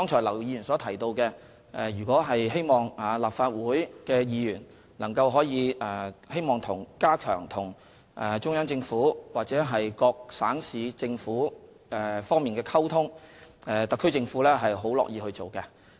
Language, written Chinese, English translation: Cantonese, 劉議員剛才提到，希望立法會議員能夠加強與中央政府或各省市政府溝通，特區政府是非常樂意促成的。, Mr LAU hopes that Members can strengthen communication with the Central Government or various provincial or municipal governments . The SAR Government is very happy to facilitate this